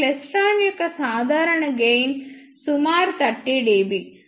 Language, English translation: Telugu, The typical gain of these klystrons is about 30 dB